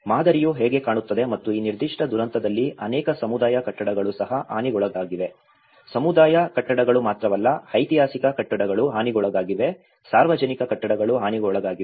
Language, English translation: Kannada, That is how the pattern looks like and in this particular disaster many of the communal buildings also have been damaged, not only the communal buildings, the historic buildings have been damaged, public buildings have been damaged